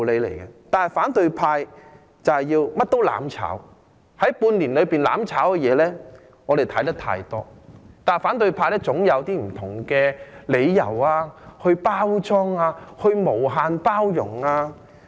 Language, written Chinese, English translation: Cantonese, 但是，反對派甚麼也要"攬炒"，在半年內，"攬炒"的事情，我們已經看得太多，但反對派總可以用一些不同的理由包裝、無限包容。, However the opposition camp has to burn together with anything . During these six months we have seen too much of this . But the opposition camp can always use different excuses to beautify and condone infinitely their acts